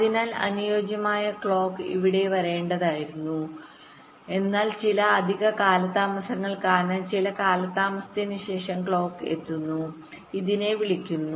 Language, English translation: Malayalam, so the ideal clock should have come here, but because of some additional delays, the clock is reaching after some delay